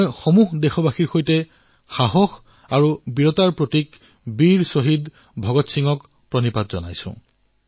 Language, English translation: Assamese, I join my fellow countrymen in bowing before the paragon of courage and bravery, Shaheed Veer Bhagat Singh